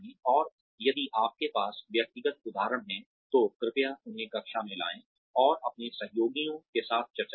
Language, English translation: Hindi, And, if you have personal examples, please bring them to class and discuss them with your colleagues